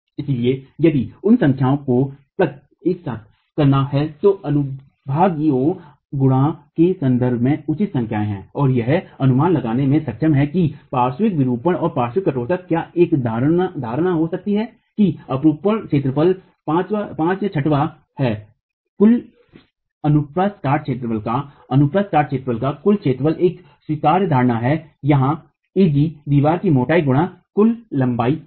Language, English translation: Hindi, So here there are to plug in numbers that are reasonable numbers in terms of the sectional properties and be able to make an estimate of what the lateral deformation and lateral stiffness can be, an assumption that the shear area is about 5 sixth of the total area of the cross section, gross area of the cross section is an acceptable assumption